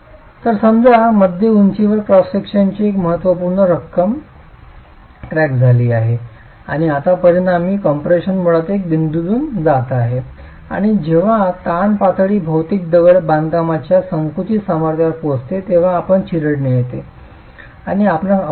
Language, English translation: Marathi, So let's say significant amount of cross section has cracked at the mid height and now the resultant compression is basically passing through a point and when the stress level reaches the compressive strength of the material masonry you get crushing and you can have failure